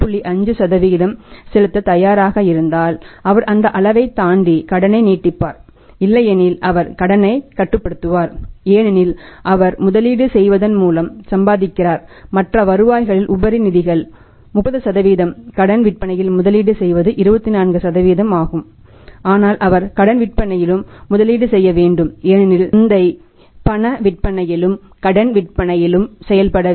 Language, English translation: Tamil, 5% per month then he would extend the credit beyond that level also otherwise he will restrict the credit he should restrict the credit because he is earning by investing the surplus funds in the other revenues is 30% investing in the credit sales is 24% but he has to invest in the credit sales also because market has to be served both in cash as well as in credit